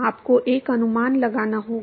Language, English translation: Hindi, You have to make an approximation